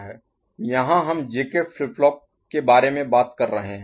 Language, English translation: Hindi, Here we are talking about JK flip flop right